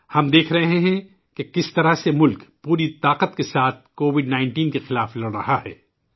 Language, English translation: Urdu, We are seeing how the country is fighting against Covid19 with all her might